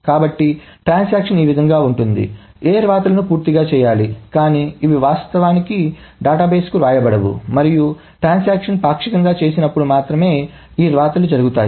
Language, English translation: Telugu, So the transaction just notes what the rights are needed to be done, but these are not actually written to the database and only when a transaction partially commits, then these rights happen